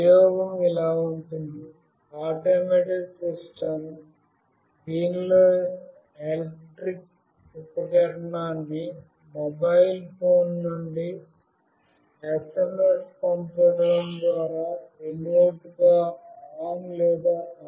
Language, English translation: Telugu, The experiment goes like this; an automated system in which an electric appliance can be turned on or off remotely by sending a SMS from a mobile phone